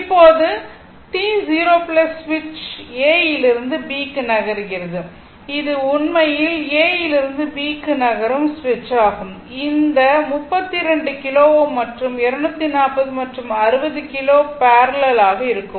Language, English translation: Tamil, Now, at t 0 plus switch moves from A to B, that is your the switch actually moving from A to B and this is the circuit this 32 kilo ohm and 240 and 60 kilo ohm are in parallel right this 2 are in parallel